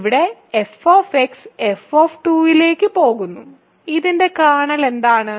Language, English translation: Malayalam, So, here f x goes to f of 2, what is a kernel of this